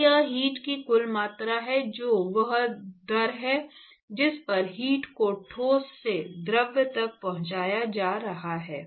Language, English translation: Hindi, So, that is the total amount of heat that is the rate at which the heat is being transported from the solid to the fluid